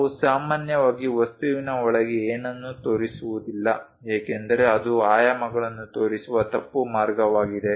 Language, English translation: Kannada, We usually do not show anything inside of the object that is a wrong way of showing the dimensions